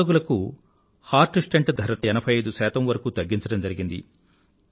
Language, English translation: Telugu, The cost of heart stent for heart patients has been reduced to 85%